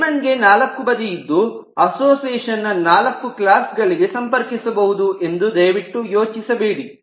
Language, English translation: Kannada, now, certainly, please do not think that since that, since diamond has four corners, you can use this only to connect four classes in an association